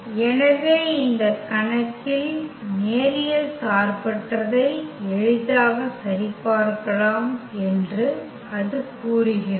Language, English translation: Tamil, So, that says easy check for the linear independency in for this case